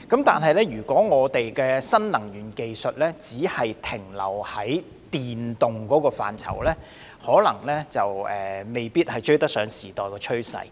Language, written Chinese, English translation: Cantonese, 不過，如果新能源技術只限於電能的範疇，可能未必追得上時代的趨勢。, But if new energy technologies are confined to only electrical energy it may be impossible to catch up with the trend of the times